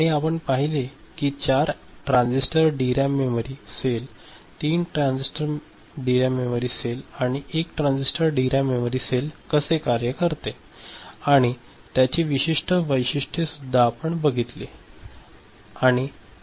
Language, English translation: Marathi, And we had seen how 4 transistor DRAM memory cell, 3 transistor memory DRAM memory cell and 1 transistor DRAM memory cell works and their specific characteristics